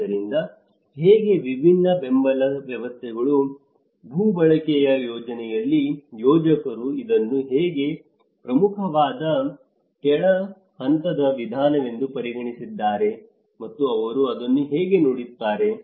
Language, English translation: Kannada, So, how different support systems, how at a land use planning how a planners also considered this as one of the important bottom level approach and how they look at it